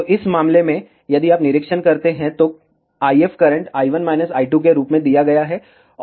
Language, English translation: Hindi, So, in this case, if you observe, the IF current is given as i 1 minus i 2